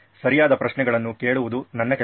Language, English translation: Kannada, My job is to ask the right questions